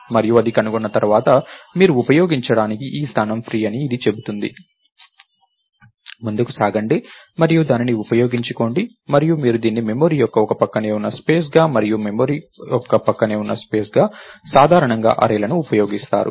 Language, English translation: Telugu, And once it finds out, it will it tells that this location is free for you to use, go ahead and use it and you use it as a contiguous space of memory and contiguous space of memory is usually arrays